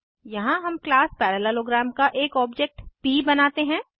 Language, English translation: Hindi, Here we create an objectof class parallelogram as p